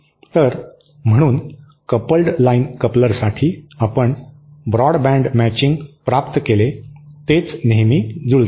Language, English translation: Marathi, So, therefore for the coupled line coupler, we obtained broad band matching, that is they are always matched